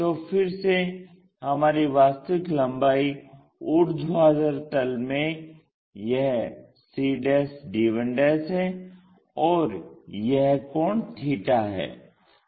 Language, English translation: Hindi, Again our true length in that vertical plane projected one, this is the one and this angle is theta